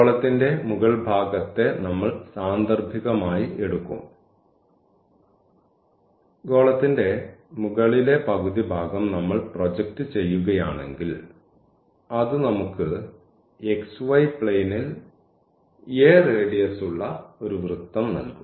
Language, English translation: Malayalam, So, we will take for instance the upper half part of the sphere and if we project that upper half part of the sphere; this will give us the circle of radius a in the xy plane